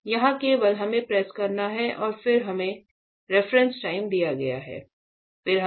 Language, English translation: Hindi, Here only we have to press then we have to